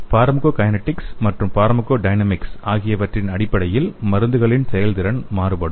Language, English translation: Tamil, Let us see the definition between the pharmacokinetics and pharmacodynamics